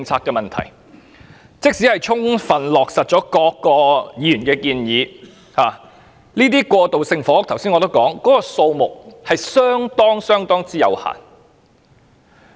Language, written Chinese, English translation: Cantonese, 我剛才已指出，即使全盤落實議員的建議，過渡性房屋的單位數目亦相當有限。, As I pointed out earlier even if Members proposals are fully implemented the number of transitional housing units is quite limited